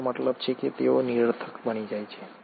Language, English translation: Gujarati, I mean they become redundant